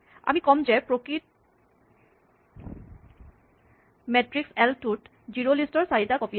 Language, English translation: Assamese, We say that the actual matrix l has 4 copies of zerolist